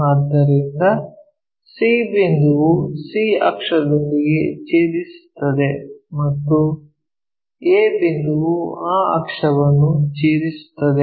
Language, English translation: Kannada, So, c point cuts c axis and a point cuts that axis there